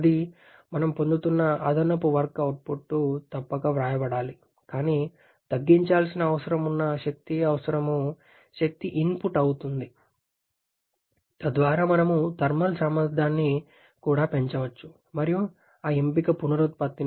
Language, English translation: Telugu, That is the additional work output that we are getting that must be written but also the energy requirement energy input requirement that needs to reduce so that we can have a increasing the thermal efficiency as well and that option is regeneration